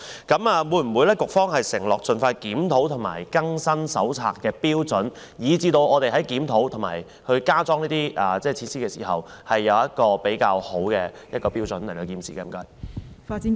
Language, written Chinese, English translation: Cantonese, 局方會否承諾盡快檢討，並更新《手冊》的有關標準，好讓我們在檢討和加裝設施時，能遵循一些較好的標準來進行建設呢？, Will the Bureau undertake to review that as soon as possible and update the relevant criteria of the Manual so that the Government can follow a set of better criteria in the course of review and erecting additional installations?